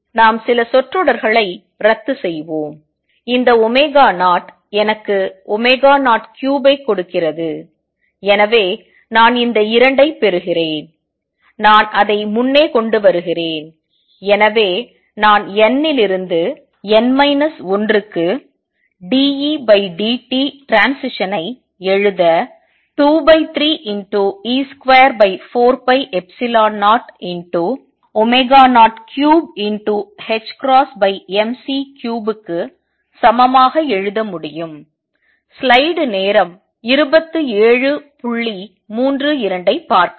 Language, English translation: Tamil, Let us cancel a few terms this omega 0 gives me omega 0 cubed and therefore, I get this 2 I can bring in front and therefore, I can write dE dt transition from n to n minus 1 is equal to 2 thirds, e square over 4 pi epsilon 0 omega 0 cubed h bar over m c cubed